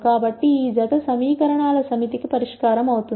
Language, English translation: Telugu, So, that pair would be a solution to this set of equations